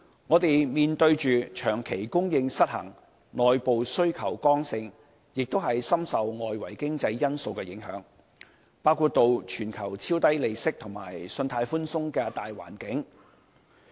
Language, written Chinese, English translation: Cantonese, 我們房屋的供求長期失衡、內部需求剛性，問題亦深受外圍經濟因素影響，包括全球超低利息及信貸寬鬆的大環境。, Housing in Hong Kong sees persistent imbalance in supply and demand where the internal demand is strong . The problem is also affected by external economic factors which include a big global environment under which interest rates are extremely low and credit is loose